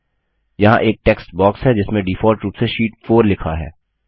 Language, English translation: Hindi, There is a textbox with Sheet 4 written in it, by default